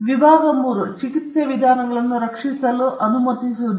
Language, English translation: Kannada, Section 3 does not allow methods of treatment to be protected